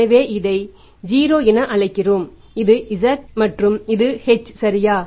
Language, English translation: Tamil, So, we call this as the 0 or O, this is Z and this is H